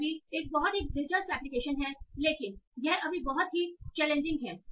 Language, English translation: Hindi, So this is also a very interesting application but yeah it's very very challenging right now